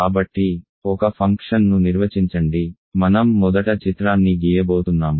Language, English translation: Telugu, So, define a function so, I am going to first draw a picture